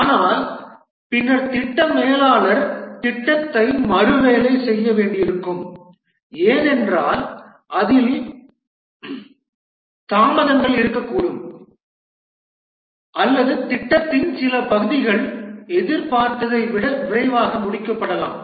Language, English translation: Tamil, But then the project manager might have to rework the plan because even in spite of that there will be delays or there may be some part of the project may get completed quickly than anticipated and so on